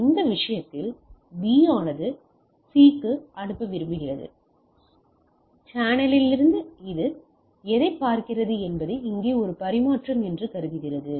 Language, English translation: Tamil, In this case B wants to sends to C and since the channel and what it sees that it assumes that here’s A transmission